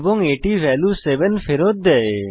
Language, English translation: Bengali, And it returns the value 7